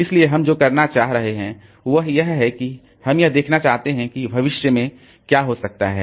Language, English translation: Hindi, So, what we are trying to do essentially is that we are trying to see like what can happen in future